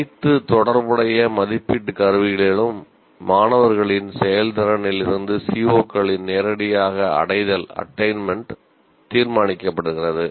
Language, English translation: Tamil, So, direct attainment of COs is determined from the performance of the performance of the students in all the assessment instruments